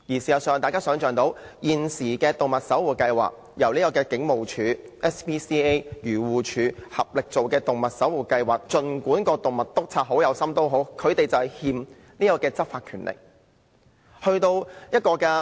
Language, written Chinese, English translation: Cantonese, 事實上，大家可以想象，在現時由警務處、愛護動物協會和漁護署合作推出的動物守護計劃下，儘管動物督察很有心，他們仍未獲賦執法權力。, In fact as you can imagine under the Animal Watch Scheme jointly implemented by the Hong Kong Police Force the Society for the Prevention of Cruelty to Animals and AFCD while animal inspectors are very dedicated they have not been given any law enforcement power